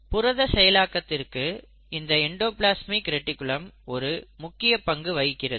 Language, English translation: Tamil, And this endoplasmic reticulum plays a very important role in protein processing